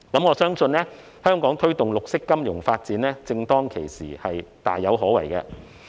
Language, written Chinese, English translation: Cantonese, 我相信香港推動綠色金融發展正當其時，是大有可為的。, I believe it is just the opportune moment for Hong Kong to foster the development of green finance and this will offer us a promising prospect